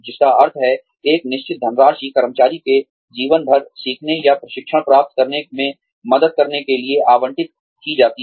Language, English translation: Hindi, Which means, a certain sum of money, is allocated, to helping the employee learn, or gets training, throughout one's life